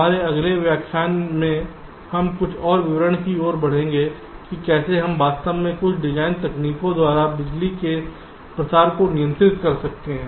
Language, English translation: Hindi, in our next lectures we shall be moving in to some more details about how we can actually control power dissipations by some design techniques